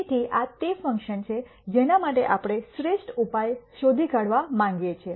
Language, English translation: Gujarati, So, this is the function for which we want to find the best solution